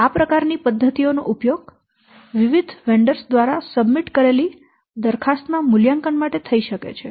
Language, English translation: Gujarati, So, those kinds of things, those kinds of methods can be used to evaluate the proposal submitted by different vendors